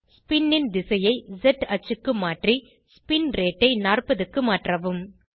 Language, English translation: Tamil, Change the direction of spin to Z axis and rate of spin to 40